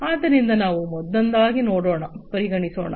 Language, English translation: Kannada, So, let us take up one by one